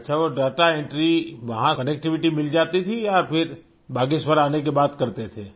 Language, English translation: Hindi, O…was connectivity available there or you would do it after returning to Bageshwar